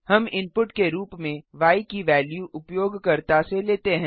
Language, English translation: Hindi, we take the value of y as input from the user